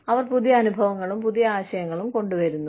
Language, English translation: Malayalam, They bring with them, newer experiences, newer ideas